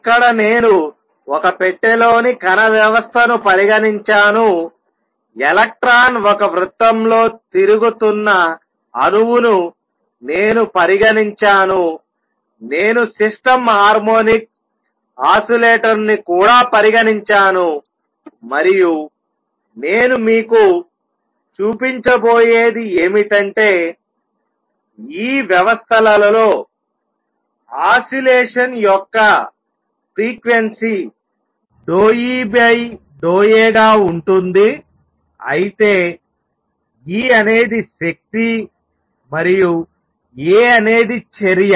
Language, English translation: Telugu, Here I have considered the system of particle in a box, I have considered an atom in which the electron is moving around in a circle, I will also consider a system harmonic oscillator and what I will show you is that in these systems the frequency of oscillation is going to be partial E over partial a where E is the energy and a is the action let me elaborate on that a bit